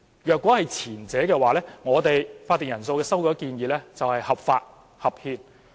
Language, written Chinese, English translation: Cantonese, 如果是前者，我們的會議法定人數修改建議便合法合憲。, If the former stands our proposal to change the quorum will be legal and constitutional